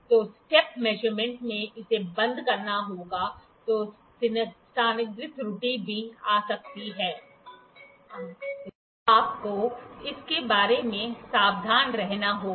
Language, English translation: Hindi, So, in step measurement it has to be closed then positional error could also come you have to be careful about that